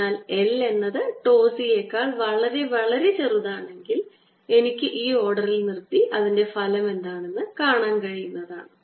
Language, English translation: Malayalam, so again we see that if l is much, much, much smaller than tau c, i can stop at this order and see what the effect is